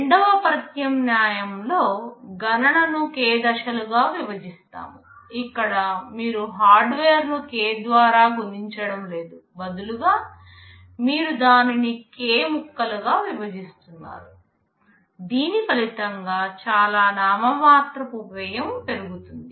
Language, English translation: Telugu, Alternative 2 is to split the computation into k stages; here you are not multiplying the hardware by k, rather the you are splitting it into k pieces resulting in very nominal increase in cost